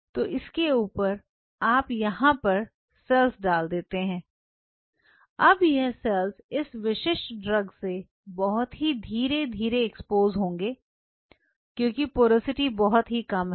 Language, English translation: Hindi, So, on top of this you put the cells, now these cells will be exposed to this particular drug in a slow fashion, because the porosity is less